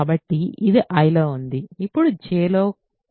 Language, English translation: Telugu, So, this is in I this is in J